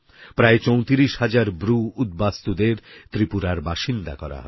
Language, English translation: Bengali, Around 34000 Bru refugees will be rehabilitated in Tripura